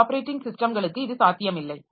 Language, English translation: Tamil, From some operating systems it may not be possible